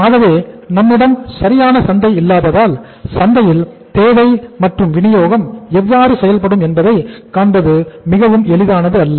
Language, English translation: Tamil, So since we do not have the perfect markets, it is not very easy to visualize how the demand and supply will behave in the market, these forces will behave in the market